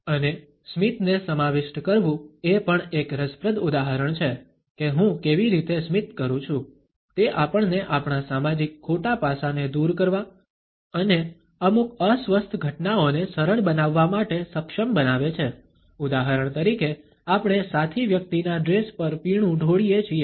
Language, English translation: Gujarati, And embrace the smile is also another interesting example of how I smile enables us to overcome our social faux pas as well as to smoothen over certain uncomfortable incidents for example, we have spilt a drink on the dress of a fellow person